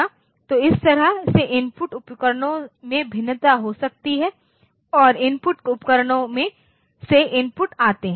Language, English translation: Hindi, So, that way, input devices it may vary and the input come from the input devices